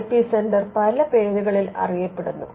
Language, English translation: Malayalam, Now, the IP centre is known by many names